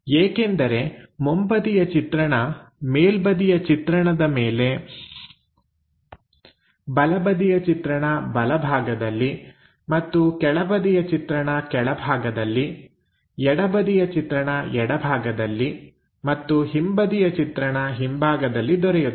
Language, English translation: Kannada, Because front view top view on top, right view on the right side and bottom view is on the bottom side, left view will be on the left side and rear view on the rear side